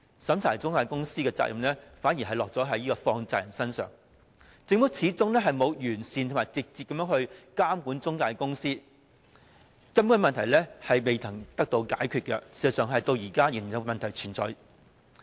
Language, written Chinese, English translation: Cantonese, 審查中介公司的責任反而落在放債人身上，政府始終沒有完善及直接監管中介公司，根本的問題並未得到解決，而事實上問題至今仍然存在。, The responsibility of checking the intermediaries thus falls on the money lenders while the Government still has yet to implement effective and direct regulation on the intermediaries . The thrust of the problem has remained unresolved and in fact the problem still exists now